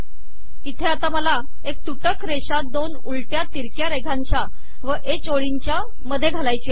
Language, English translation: Marathi, Here I have to put a break line with two reverse slashes and then h line